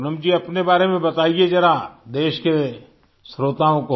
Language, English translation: Hindi, Poonamji, just tell the country's listeners something about yourself